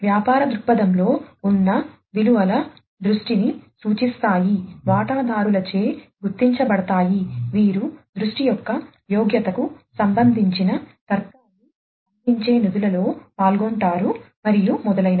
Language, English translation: Telugu, The values in the business viewpoint indicate the vision, recognized by the stakeholders, who are involved in funding providing the logic regarding the merit of vision, and so on